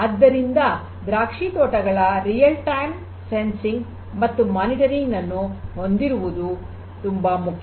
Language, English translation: Kannada, So, it is very important to have real time sensing and monitoring of the vineyards